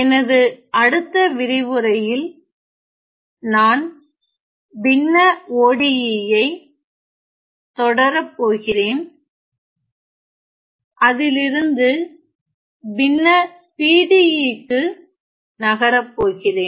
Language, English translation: Tamil, In my next lecture I am going to continue my discussion on fractional ODE’s moving onto fractional PDE’s